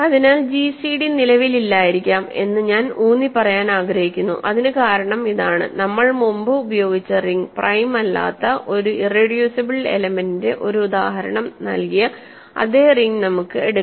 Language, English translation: Malayalam, So, I want to stress that gcd may not exist, gcd may not exist and that is because, again the ring that we used earlier which gave us an example of an irreducible element that is not prime, in this same ring we can take the following